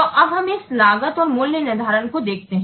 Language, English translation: Hindi, So now let's see this costing and pricing